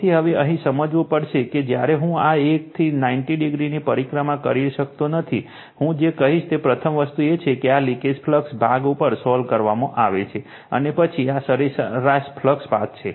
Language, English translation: Gujarati, So, whenever, now here we have to understand your I cannot revolve this 1 to 90 degree, I will tell you that first thing is that this is the leak[age] leakage flux part is also solve, and then this is the mean flux path